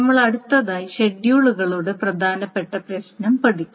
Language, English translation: Malayalam, We will next cover the important issue of schedules